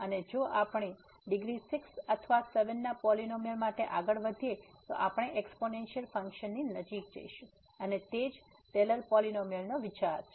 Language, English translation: Gujarati, And if we move further for the polynomial of degree 6 or 7, then we will be moving closer to the exponential function and that’s the idea of the Taylor’s polynomial